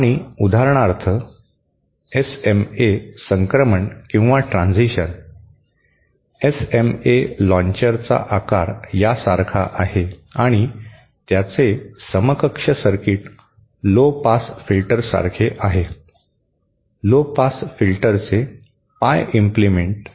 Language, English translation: Marathi, And for example, an SMA transition, the SMA launcher is shaped like this and its equivalent circuit is like a lowpass filter, pie implement of a lowpass filter